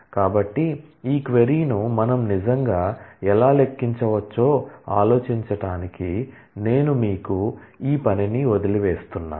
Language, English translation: Telugu, So, I leave this as an exercise to you, to think over as to how we can actually compute this query